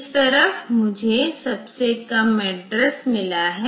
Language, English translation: Hindi, So, it will put it in the lowest address